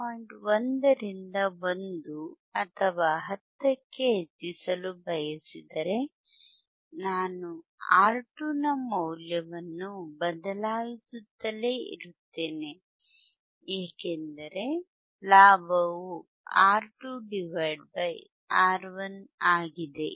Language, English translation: Kannada, 1 to 1 or to 10, I can keep on changing the value of R 2 I can keep on changing value of R 2 because I have gain which is R 2 by R 1, right